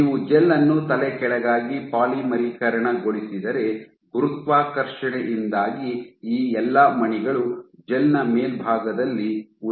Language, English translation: Kannada, So, if you polymerize the gel upside down then because of gravity all these beads will remain at the top surface of the gel